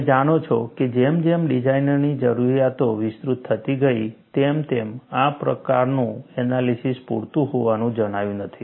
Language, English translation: Gujarati, You know, as design requirements expanded, this kind of analysis was not found to be sufficient